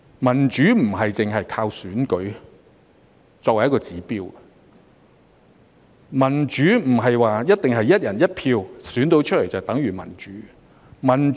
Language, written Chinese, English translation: Cantonese, 民主不是單靠選舉作為指標，民主並不是一定"一人一票"選出來便等於民主。, Election is not the sole indicator of democracy . Election on the basis of one person one vote is not necessarily tantamount to democracy